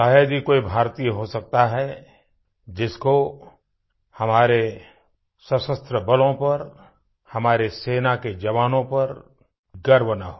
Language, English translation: Hindi, There must be hardly any Indian who doesn't feel proud of our Armed Forces, our army jawans, our soldiers